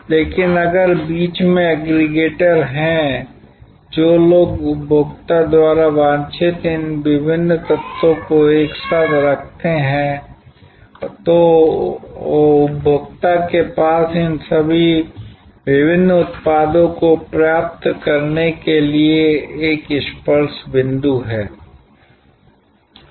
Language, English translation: Hindi, But, if there are aggregators in between, people who put together these various elements desired by the consumer, then the consumer has one touch point to acquire all these various products